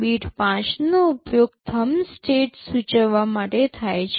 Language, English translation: Gujarati, Bit 5 is used to denote thumb state